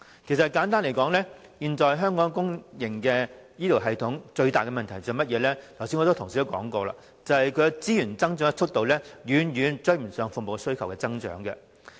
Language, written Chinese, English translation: Cantonese, 簡單來說，現時香港公營醫療系統最大的問題，正如很多同事剛才所說，就是資源的增幅遠追不上服務需求的增長。, Simply put now the biggest problem of the public healthcare system of Hong Kong as mentioned by many Honourable colleagues just now is that the increase in resources lags far behind the growth in demand for services